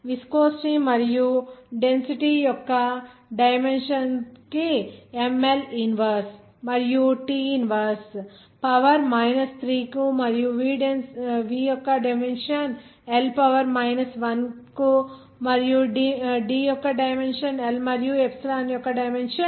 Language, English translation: Telugu, ML inverse and T inverse to the dimension of viscosity and dimension of density is ML to the power 3 and dimension of v is L to the power 1 and dimension of D is L and dimension of Epsilon is L